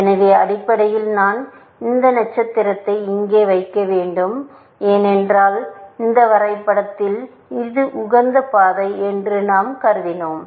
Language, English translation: Tamil, So basically, I have to put this star here, because we have assumed that in this graph, this is optimal path